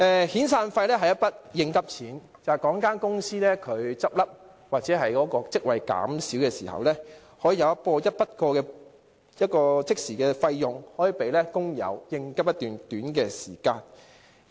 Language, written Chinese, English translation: Cantonese, 遣散費是一筆應急錢，例如一間公司結業或職位減少時，可即時提供一筆過的款項給工友，作短期應急之用。, Severance payments are meant to meet urgent needs . For instance when a company is wound up or downsized this one - off payment can be instantly made to the workers to meet their urgent needs in the short term